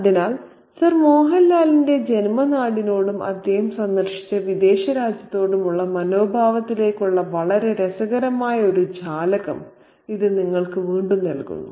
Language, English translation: Malayalam, So, this gives you again a very, very interesting window into Sir Mohan Lal's attitude towards his native country and to the foreign country that he had visited